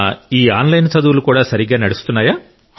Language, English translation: Telugu, Are their online studies going on well